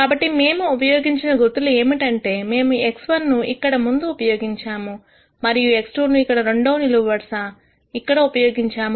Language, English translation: Telugu, So, the notation that we have used is we have used the x 1 in the front here and x 2 here for second column, x 3 here for the third column and so on, x n here for the last column